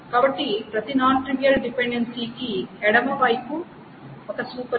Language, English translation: Telugu, So for every non trivial thing, the left side is a super key